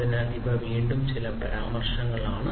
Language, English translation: Malayalam, So, these are again some of the references